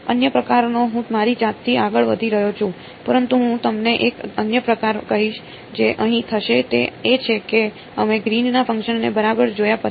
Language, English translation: Gujarati, Another sort of I am getting ahead of myself, but I will tell you one other challenge that will happen over here is that your we have seen Green’s functions right